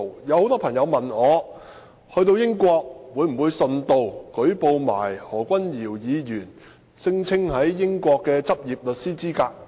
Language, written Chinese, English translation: Cantonese, 有很多朋友問我，到了英國會否順道連同舉報何君堯議員聲稱在英國具有的執業律師資格？, Many friends asked me if I would I report Dr Junius HOs claim as a practicing solicitor in the United Kingdom when I arrive there